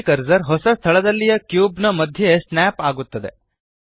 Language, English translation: Kannada, The 3D cursor snaps to the centre of the cube in the new location